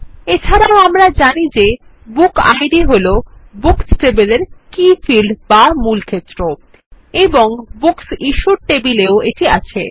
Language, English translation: Bengali, We also know that book id is the key field in the books table and is represented in the Books Issued table